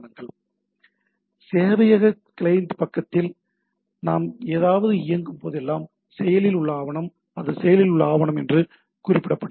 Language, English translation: Tamil, So, whenever we are running on something on the server client side is active document, it is referred as active document